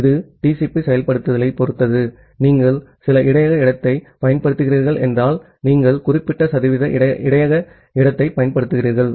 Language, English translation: Tamil, That depends on the TCP implementation that if you are using some buffer space, then you use certain percentage of the buffer space